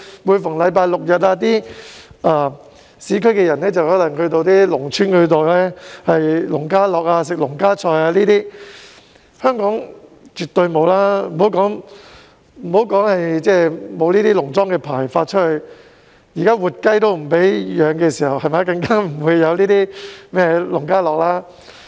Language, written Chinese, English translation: Cantonese, 每逢星期六、日，內地的市區居民便會到農村享受農家樂，吃農家菜等；香港完全沒有這種活動，除了政府沒有發農莊牌照，現時連活雞也不准飼養，更莫說農家樂了。, On weekends Mainland people living in urban areas may have fun at farmhouses in rural villages and enjoy some farmhouse dishes . In the case of Hong Kong there are no such activities at all . One reason is that the Government does not issue any farmhouse licences and another reason is that the rearing of live chickens is forbidden now so it is impossible to have fun at farmhouses